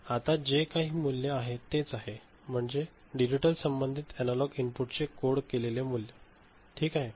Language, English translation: Marathi, And now whatever is the value that is the value related to the digitally coded value of the analog input is it fine